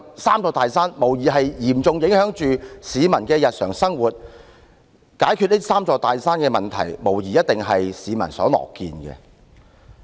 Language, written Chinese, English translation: Cantonese, "三座大山"無疑是嚴重影響着市民的日常生活，解決這"三座大山"的問題，無疑一定是市民所樂見的。, Doubtless these three big mountains seriously affect the daily life of the people and so solving the problems posed by them is surely something that the public will be pleased to see